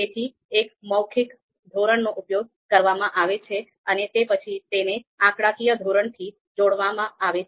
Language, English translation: Gujarati, So a verbal scale is used and then it is mapped to a numeric scale